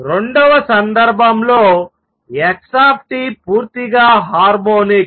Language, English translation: Telugu, In the second case x t is purely harmonics